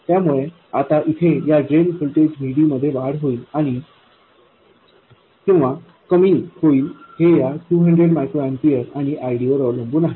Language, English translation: Marathi, So now this drain voltage here, VD, will increase or decrease depending on the difference between this 200 microamperors and ID